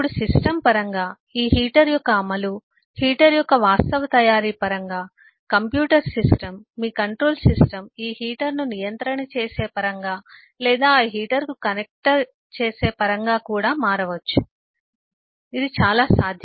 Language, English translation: Telugu, now it is quite possible that actually the implementation of this eh heater in in terms of the system could vary in terms of the actual make of the heater, even in terms of the way the computer system, your control system, will control this heater or connect to that heater